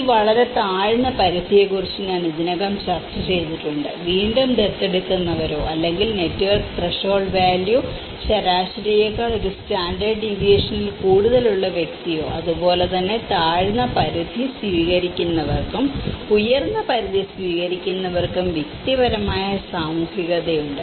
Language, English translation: Malayalam, And I have already discussed about this very low threshold, again the adopters or the individual whose network threshold value is greater than one standard deviation lower than the average that network threshold and similarly, the low threshold adopters and the high threshold adopters have a personal social networks bounded by one standard deviation lower than the higher average